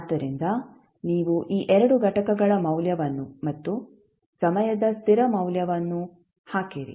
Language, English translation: Kannada, So, you put the value of these 2 components and time constant value